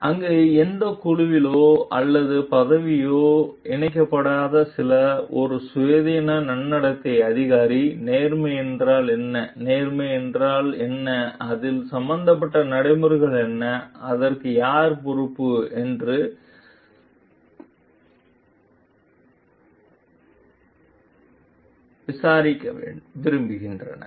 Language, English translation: Tamil, And there some person who is not linked to any group or position like in is an independent ethics officer, who like the advocate of what is fairness and if it is and what is fairness and what are the procedures involved in it and who is responsible for it